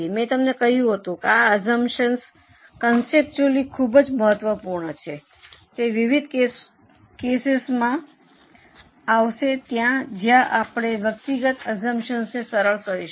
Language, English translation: Gujarati, I had told you that though these assumptions are very important conceptually, you will come across various cases where we dilute an individual assumption